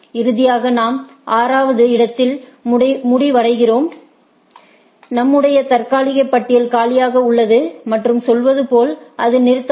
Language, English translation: Tamil, And, finally, we end up in the position 6, where our tentative your list is empty and as the algo says it stops